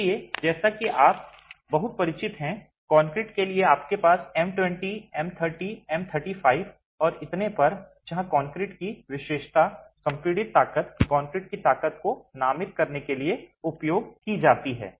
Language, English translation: Hindi, So, as you are very familiar for concrete you have M20, M30, M 35 and so on where the characteristic compressive strength of concrete is used to designate the strength of concrete, the class of concrete